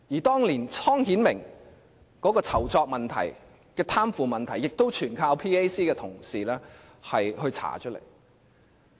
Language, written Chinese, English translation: Cantonese, 當年湯顯明的酬酢問題和貪腐問題全靠 PAC 同事查出來。, The unveiling of Timothy TONGs entertainment and corruption problems back then was the result of the efforts of PAC members